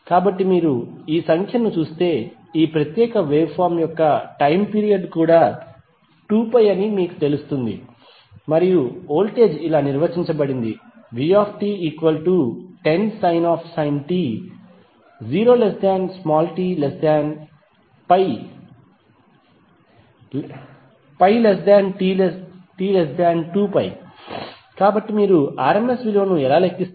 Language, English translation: Telugu, So if you see this figure you will come to know that the time period of this particular waveform is also 2pi and the voltage is defined as 10 sin t for 0 to pi and it is 0 between pi to 2pi